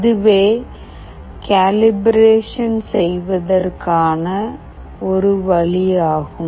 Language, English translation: Tamil, This is one way of doing the calibration